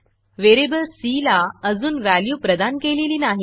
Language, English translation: Marathi, The variable c has not yet been assigned that value